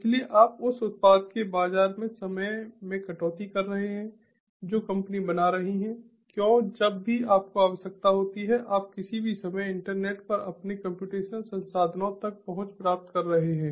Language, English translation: Hindi, so you are cutting down on the time to market of the product that the company is building, because, whenever you require, you are getting access to your computational resources over the internet at any time